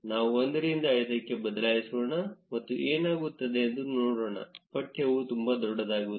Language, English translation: Kannada, Let us change from 1 to 5 and see what happens, the text becomes too big